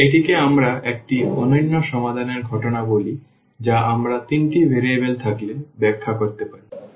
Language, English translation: Bengali, And, this is what we call the case of unique solution that we can also interpret when we have the 3 variables